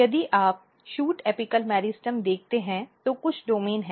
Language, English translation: Hindi, If you look the shoot apical meristem there are certain domains